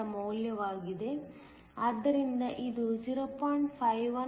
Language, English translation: Kannada, 9971, so that this is 0